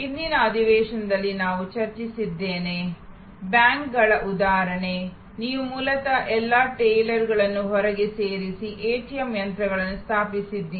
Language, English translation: Kannada, I discussed in a previous session, the example of banks, you have originally moved all the tailors out and installed ATM machines